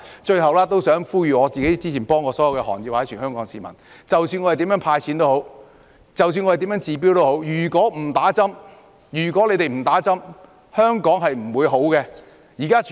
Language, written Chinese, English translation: Cantonese, 最後，我想呼籲之前我曾協助的行業及全港市民，不論政府如何"派錢"、不管如何治標，如果不接種疫苗，香港是不會變好的。, Lastly I would like to make an appeal to the industries that I have assisted before and also to all the people of Hong Kong . No matter how much money the Government has given out and no matter what is done to treat only the symptoms of the problem Hong Kong will not fare better if we do not receive vaccination